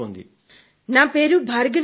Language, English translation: Telugu, "My name is Bhargavi Kande